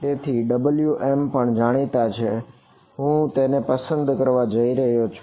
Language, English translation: Gujarati, So, therefore, W m is also known I am going to choose it